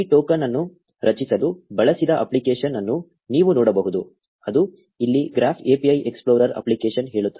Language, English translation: Kannada, You can see the app that was used to generate this token it says the graph API explorer app here